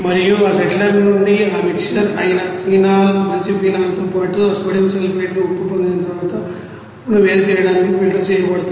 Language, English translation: Telugu, And from that settler after getting that you know mixer of you know oily you know phenol, good phenol along with that sodium sulphate salt, it will be filtered out to separate that salt